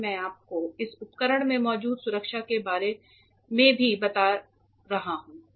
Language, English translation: Hindi, I will also talk to you about the protection that is there in this equipment